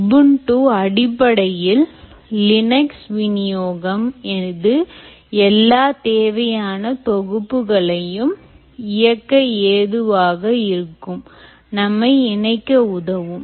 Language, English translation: Tamil, ubuntu is basically linux distribution and it runs all the required necessary packages which will allow us to connect out